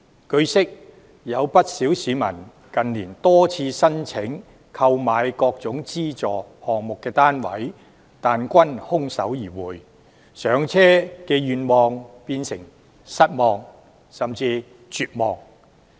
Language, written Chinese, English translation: Cantonese, 據悉，有不少市民近年多次申請購買各個資助項目的單位但均空手而回，上車願望變成失望甚至絕望。, It is learnt that quite a number of members of the public have in recent years subscribed for the flats of the various subsidized projects for a number of times but in vain and their home ownership aspirations have turned into feelings of disappointment and even despair